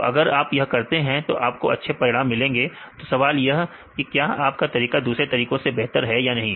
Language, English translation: Hindi, So, now if you do this right for example, if you have good results then the question is whether your method is better than other methods or not